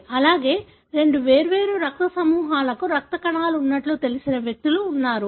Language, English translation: Telugu, Also, there are individuals who are known to have blood cells for two different blood groups and so on